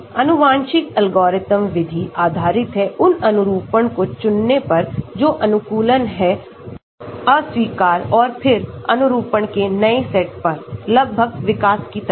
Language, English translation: Hindi, genetic algorithm method is based on selecting those conformations which are favorable, rejecting and then coming up new set of conformation, almost like evolution